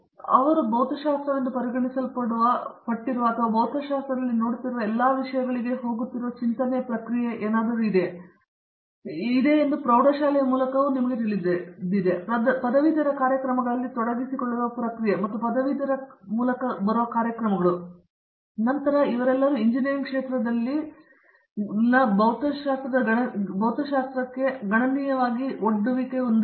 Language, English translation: Kannada, So, they are very familiar with what is considered as physics or the thought process that goes into all the things that we look at in physics and so through high school, through you know the process of getting into under graduate programs and also through under graduate programs, they all most all of them have considerable exposure to physics in the engineering field